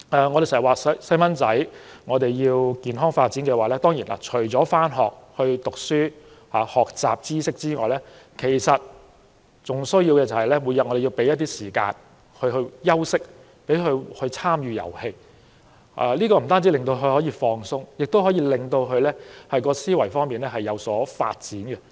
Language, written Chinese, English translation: Cantonese, 我們經常說如果要孩子健康發展，除了上學唸書和學習知識外，還要每天給他們時間休息和參與遊戲，這不單可以令他們放鬆，也可令他們的思維能力有所發展。, We often say that a healthy development of a child should in addition to schooling for knowledge build - up include time for rest and games . Not only will this allow them to relax but also develop their mental capacity